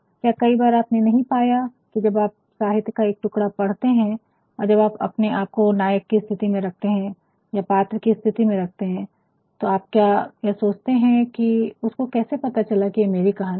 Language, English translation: Hindi, Have you not at times found that when you are reading a piece of literature, sometimes you start putting yourself in the position of the protagonist in the position of the characters, sometimes you start thinking how could he knowthat this is my story my dear friend he did not know